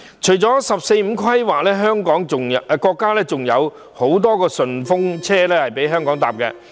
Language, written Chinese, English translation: Cantonese, 除了"十四五"規劃，國家還有很多"順風車"供香港搭乘。, In addition to the 14th Five - Year Plan Hong Kong may seize many other opportunities brought about by the countrys initiatives